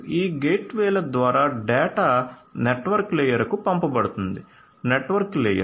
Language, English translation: Telugu, So, through these gateways the data are going to be sent to the network layer; the network layer